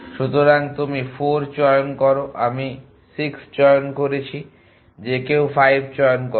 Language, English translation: Bengali, So you choose 4, I choose 6 any choose 5